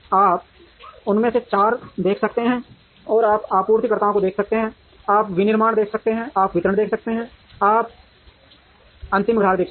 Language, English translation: Hindi, You can see four of them, you can see suppliers, you can see manufacturing, you can see distribution, and you can see the final customer